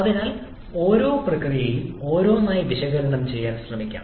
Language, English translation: Malayalam, So, let us try to analyze each of the process one upon one